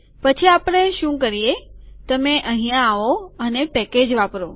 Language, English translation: Gujarati, Then what we do is, you come here and use the package